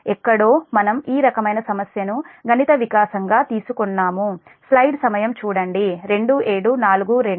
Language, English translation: Telugu, we will find this kind of problem has been taken as an mathematical development